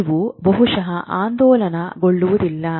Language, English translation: Kannada, These probably don't oscillate